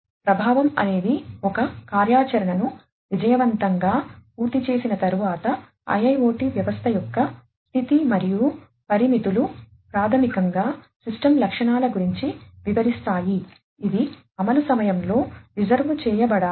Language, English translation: Telugu, Effect is the state of the IIoT system after successful completion of an activity and constraints basically talk about the system characteristics, which must be reserved during the execution